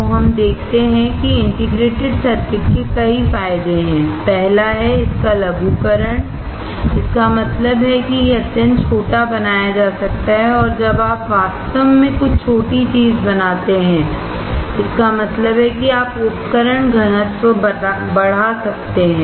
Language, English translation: Hindi, So, let us see integrated circuits have several advantages, first is its miniaturization; that means, it can be made extremely small and when you make something really small; that means, you can increase the equipment density